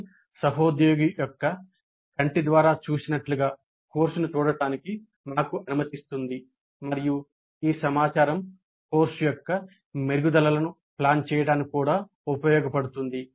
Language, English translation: Telugu, This allows us to see the course as seen through the IFA colleague and this information can also be used to plan the improvements for the course